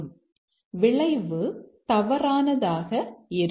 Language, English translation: Tamil, So, that means this is false